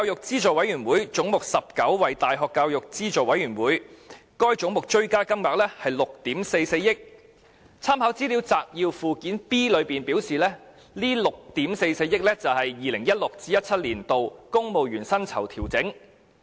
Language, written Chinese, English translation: Cantonese, "總目190 ―大學教育資助委員會"，該總目的追加金額為6億 4,400 萬元，立法會參考資料摘要的附件 B 顯示，這是用於 2016-2017 年度公務員薪酬調整。, Under Head 190―University Grants Committee the supplementary appropriation was 644 million which as indicated in Annex B of the Legislative Council Brief was for the 2016 - 2017 civil service pay adjustment